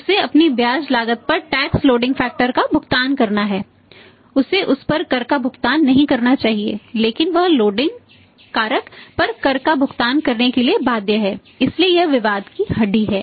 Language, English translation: Hindi, He should not be supposed to pay the tax on that but he is supposed to pay the tax attacks on the loading factor also so that is a bone of contention